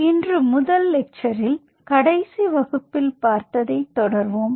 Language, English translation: Tamil, so the first lecture today we will be follow up on what we finished in the last class